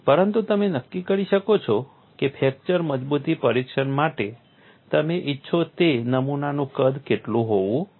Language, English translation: Gujarati, But you can determine what should be the size of the specimen that you want for fracture toughness testing